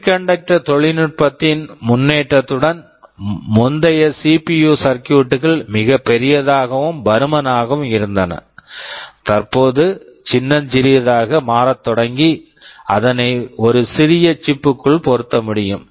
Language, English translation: Tamil, With the advancement in semiconductor technology earlier CPU circuits were very large and bulky; they have started to become smaller and smaller, and now they can fit inside a single chip